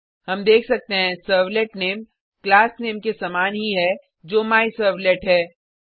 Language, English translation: Hindi, We can see that Servlet Name is same as that of the Class Name which is MyServlet